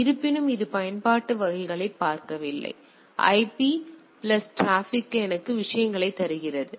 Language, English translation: Tamil, So, nevertheless, but it does not look at the application type of things; so, IP plus transport gives me the things